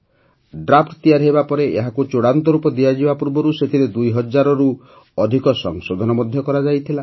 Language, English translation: Odia, After readying the Draft, before the final structure shaped up, over 2000 Amendments were re incorporated in it